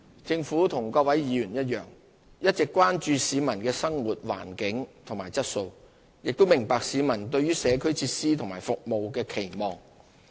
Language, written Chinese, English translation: Cantonese, 政府與各位議員一樣，一直關注市民的生活環境和質素，亦明白市民對於社區設施和服務的期望。, Just like Members the Government has always been concerned about the living environment and quality of life of the public and we understand the expectations of the community about community facilities and services